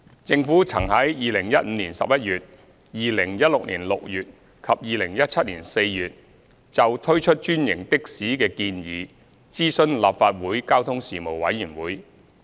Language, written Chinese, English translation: Cantonese, 政府曾於2015年11月、2016年6月及2017年4月就推出專營的士的建議諮詢立法會交通事務委員會。, In November 2015 June 2016 and April 2017 the Government consulted the Legislative Council Panel on Transport on the proposal of introducing franchised taxis